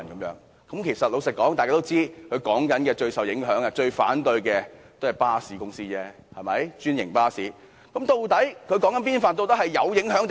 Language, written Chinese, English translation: Cantonese, 實話實說，大家也知道，政府口中最受影響、最反對該建議的唯有專營巴士公司而已，對嗎？, Honestly as we all know only the franchised bus companies which the Government has referred to as the most affected stakeholder are most opposed to the proposal arent they?